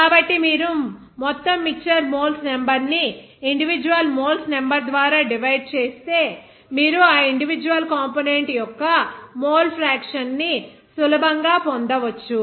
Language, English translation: Telugu, So, if you divide individual moles number by the total mixture moles number, then you can easily get that mole fraction of that individual component